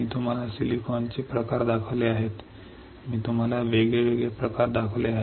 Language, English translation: Marathi, I have shown you types of silicon